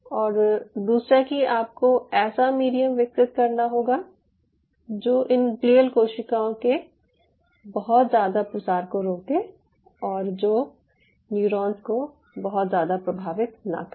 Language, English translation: Hindi, and secondly, you have to have develop a medium which will prevent the proliferation of these glial cells too much and of course we will not influence the neurons too much